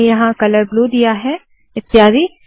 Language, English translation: Hindi, I have changed the color here to blue and so on